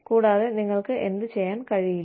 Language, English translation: Malayalam, What can you not do, without